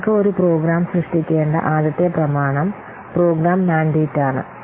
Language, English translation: Malayalam, The first document that we require to create a program is program mandate